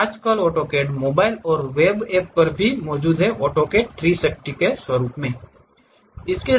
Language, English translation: Hindi, Nowadays, AutoCAD is available even on mobile and web apps as AutoCAD 360